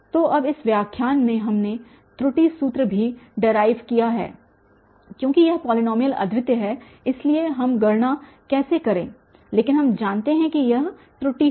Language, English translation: Hindi, So, now in this lecture we have also derived the error formula because this polynomial is unique so irrespective how do we calculate but we know that will be the error